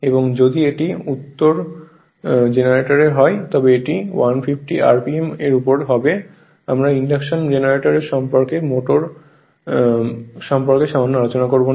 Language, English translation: Bengali, And if it is if it is answers generator it will be just above 1,500 RMP we will not discuss about induction generator only little about motor right